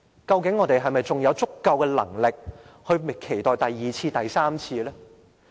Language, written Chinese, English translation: Cantonese, 究竟我們還有否足夠能力，應付第二次和第三次呢？, Are we adequately prepared to cope with a second and even a third occurrence?